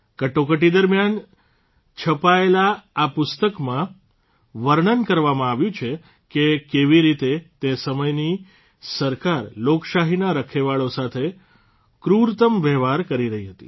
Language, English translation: Gujarati, This book, published during the Emergency, describes how, at that time, the government was treating the guardians of democracy most cruelly